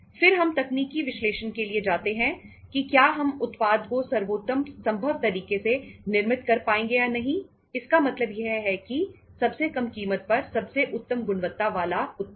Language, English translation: Hindi, Then we go for the technical analysis whether weíll be able to manufacture the product in the best possible manner means the best quality product at the lowest price